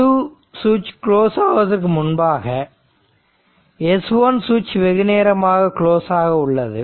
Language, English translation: Tamil, So, this is this switch S 1 was closed for long time